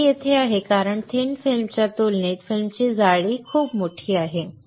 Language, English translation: Marathi, The step is there because the film thickness is very large compared to thin film